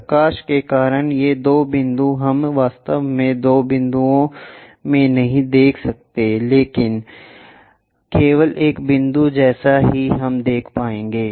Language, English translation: Hindi, These two points because of light we cannot really see into two points, but only one point as that we will see